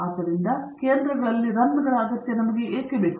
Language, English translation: Kannada, So, why do we require the runs at the center